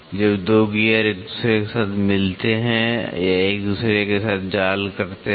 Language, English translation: Hindi, When 2 gears mate with each other or mesh with each other